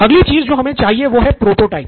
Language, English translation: Hindi, Next what we need are prototypes